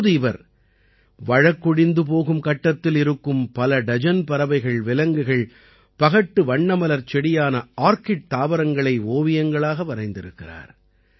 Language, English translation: Tamil, Till now he has made paintings of dozens of such birds, animals, orchids, which are on the verge of extinction